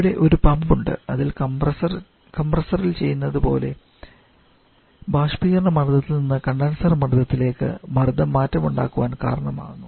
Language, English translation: Malayalam, Now we are having the pump in this pump causing the change from this evaporator pressure level to the condenser pressure level just what we did in the compressor